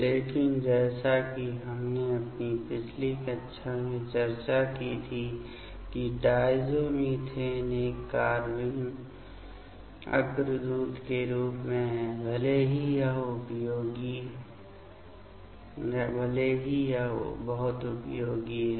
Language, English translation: Hindi, But, as we have discussed in my previous class that diazomethanes as a carbene precursor even though it is very much useful